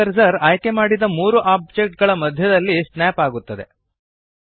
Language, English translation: Kannada, The 3D cursor snaps to the centre of the 3 selected objects